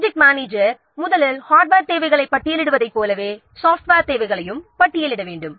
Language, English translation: Tamil, The project manager first he has to list the software requirements, just like listing the hardware requirements